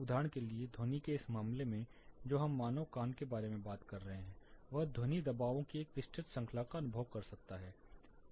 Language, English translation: Hindi, For example, in this case of sound which we are talking about human ear can perceive quite a wide range of sound pressures